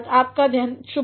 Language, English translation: Hindi, Have a nice day